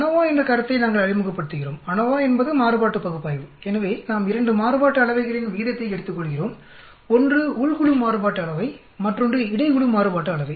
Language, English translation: Tamil, We introduce the concept of ANOVA, ANOVA is nothing but Analysis Of Variance so we are taking a ratio of 2 variances, one is between group variance and within group variance